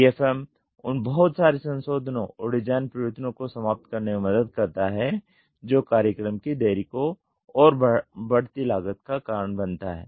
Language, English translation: Hindi, DFM helps eliminate multiple revisions and design changes that causes program delay and increasing cost